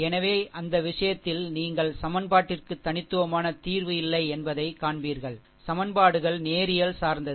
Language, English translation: Tamil, So, in that case you will find ah ah the equation has no unique solution; where equations are linearly dependent